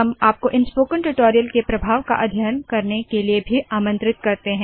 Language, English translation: Hindi, We also invite you to conduct efficacy studies on Spoken tutorials